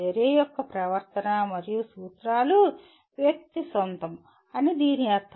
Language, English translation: Telugu, It means the conduct and principles of action are owned by the individual